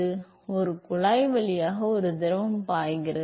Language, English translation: Tamil, And, there is a fluid which is flowing through a pipe